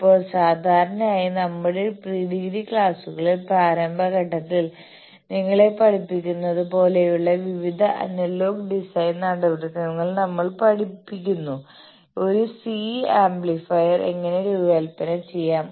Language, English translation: Malayalam, Now, generally in our undergraduate classes at the initial stages, we are taught various analogue and design procedures like you are taught, how to design a C amplifiers